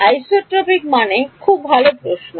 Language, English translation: Bengali, Isotropic means good question